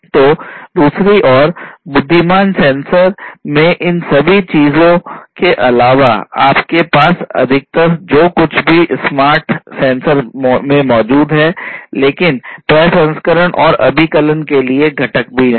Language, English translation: Hindi, So, in addition to all of these things in the intelligent sensor on the other hand, you have mostly whatever is present in the smart sensors, but also a component for processing and computation